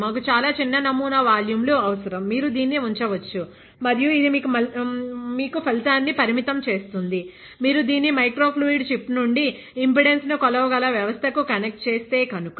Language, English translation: Telugu, We just need a very small sample volumes, you can just put it and it will limitedly show you a result; if you connect it to a system that can measure impedance from this microfluidic chip